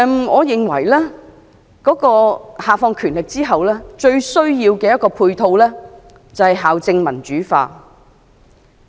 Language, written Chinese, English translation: Cantonese, 我認為教育局下放權力後，最需要的配套是校政民主化。, In my opinion it is imperative for the devolution of power by the Education Bureau to be supported by the democratization of school administration